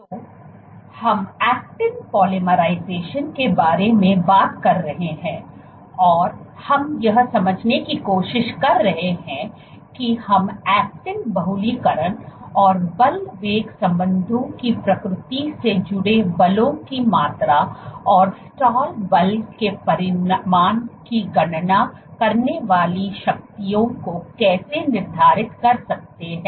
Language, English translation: Hindi, So, we are talking about actin polymerization and we trying to understand how can we quantify the forces associated with actin polymerization and the nature of force velocity relationships, and the calculating the magnitude of stall force